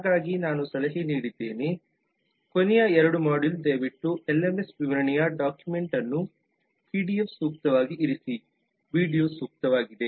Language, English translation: Kannada, so as i had advised in the last module 02 please keep the document of the lms specification the pdf handy keep the video handy